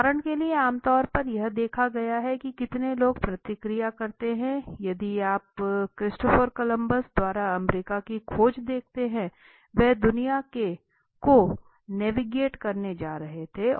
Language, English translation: Hindi, For example generally it has seen that I do not understand how many people react for example if you see this discovery of America by Christopher Columbus, so he was just going to navigating the world